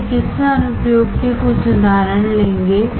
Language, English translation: Hindi, We will take few examples of medical applications